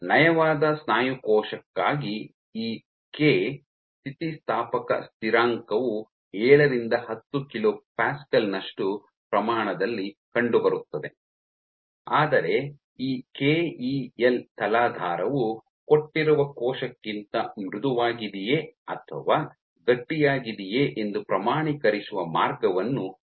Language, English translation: Kannada, So, for a muscle cell for a smooth muscle cell this K elastic constant turns out to be order 7 to 10 kilo Pascal, but this Kel provides a way of quantifying whether a substrate is soft or stiffer of given cell